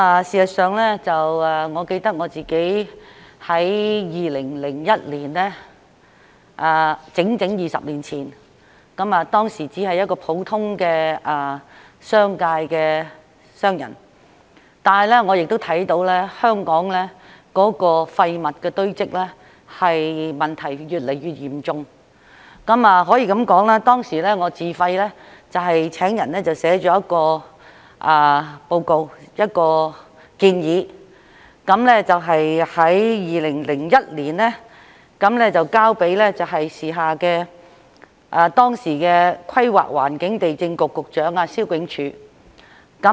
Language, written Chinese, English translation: Cantonese, 事實上，我記得我在2001年，即整整20年前，當時只是一個普通商人，但是，我亦看到香港的廢物堆積問題越來越嚴重，可以說，當時我自費請人撰寫了一份報告、一項建議，在2001年交給當時的規劃地政局局長蕭炯柱。, As a matter of fact I remember that in 2001 that is exactly two decades ago I was just an ordinary businesswoman but I also noticed that the problem of waste accumulation in Hong Kong had become increasingly serious . At that time I hired some people at my own expense to write a report or a proposal and submitted it to the then Secretary for Planning and Lands Mr Gordon SIU in 2001